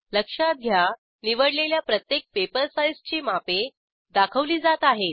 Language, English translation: Marathi, Note that paper size dimensions are displayed for every selected paper size